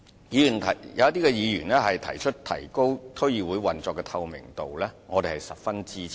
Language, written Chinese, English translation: Cantonese, 有議員建議提高區議會運作的透明度，我們是十分支持的。, We very much support Members suggestion that the transparency of operation of DCs be enhanced